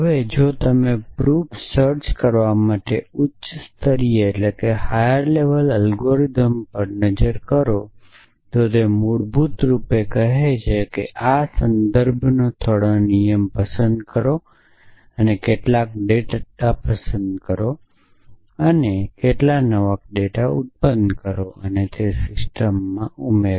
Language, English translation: Gujarati, Now, if you look at the high level algorithm for finding proof it basically says picks some rule of inference, pick some applicable data and produce some new data add it to the system